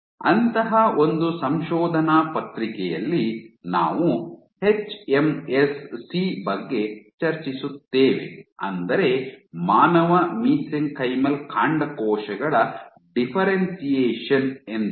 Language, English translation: Kannada, We will discuss one such paper in the context of hMSC, hMSC differentiation, human mesenchymal stem cell